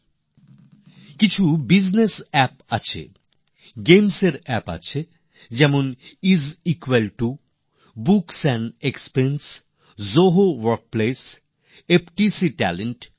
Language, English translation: Bengali, There are many business apps and also gaming apps such as Is Equal To, Books & Expense, Zoho Workplace and FTC Talent